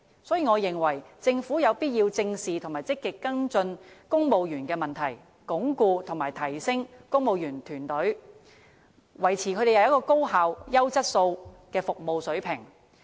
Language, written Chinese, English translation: Cantonese, 所以，我認為政府有必要正視和積極跟進公務員的問題，鞏固和提升公務員團隊，維持高效和優質的服務水平。, Therefore I consider it necessary for the Government to face up to and follow up positively on issues concerning the civil service entrench and enhance the team and maintain their services at an efficient and outstanding level